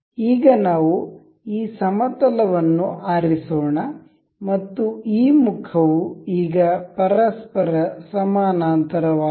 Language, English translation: Kannada, Now, let us select this plane, and this face now this has become parallel to each other